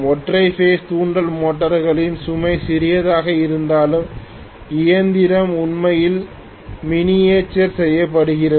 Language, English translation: Tamil, Although the load on the single phase induction motors will be small and the machine is also really miniaturized